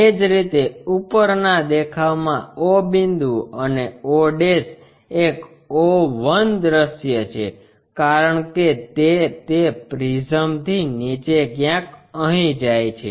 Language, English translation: Gujarati, Similarly, o point and o' in the top view o one is invisible because it goes all the way down of that prism somewhere here o one